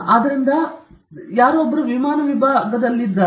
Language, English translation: Kannada, So, he is in the aircraft wing division